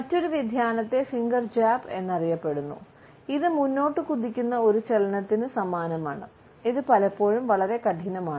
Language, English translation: Malayalam, Another variation is known as the finger jab, which is displayed by a stabbing forward motion, which is often pretty fierce